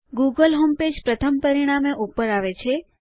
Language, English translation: Gujarati, The google homepage comes up as the first result